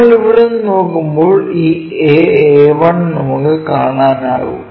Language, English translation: Malayalam, So, this A A 1 we can clearly see that visible